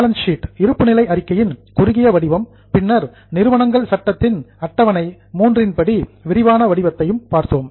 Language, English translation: Tamil, We have also seen the format of balance sheet, a short form then in detail as per Schedule 3 of Companies Act